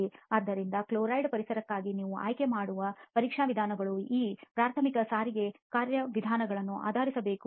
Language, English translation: Kannada, So the test methods you choose for a chloride environment have to be based on these primary transport mechanisms